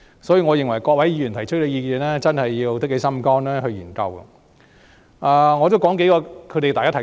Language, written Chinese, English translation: Cantonese, 所以，我認為對於各位議員提出的意見，政府真的要下定決心去研究。, For that reason I consider that the Government should study these suggestions by the Members in a determined manner